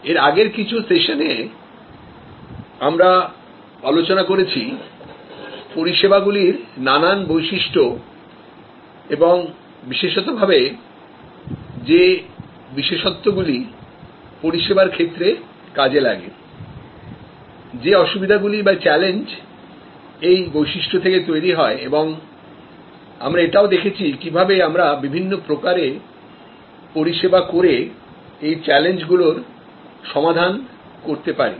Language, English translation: Bengali, In the last few sessions, we have looked at the different unique characteristics of services or characteristics that particularly apply to the service domain, the challenges that are created by those particular characteristics and we have seen how in different ways as a service business we can respond to those challenges successfully